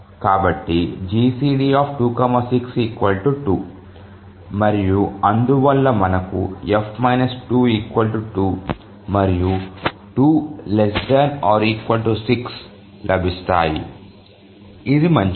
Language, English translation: Telugu, So, the GCD of 2 and 6 is 2, and therefore we get 4 minus 2 is 2 and 2 is less than equal to 6